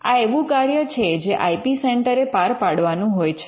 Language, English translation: Gujarati, Now, this is a function that the IP centre has to discharge